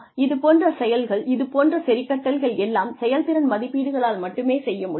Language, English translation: Tamil, So, you know, those things, those adjustments, can only be done through performance appraisals